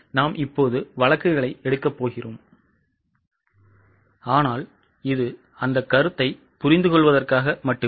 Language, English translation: Tamil, We are going to take the cases but this was just a understanding of that concept